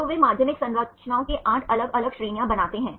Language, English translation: Hindi, So, they make 8 different categories of secondary structures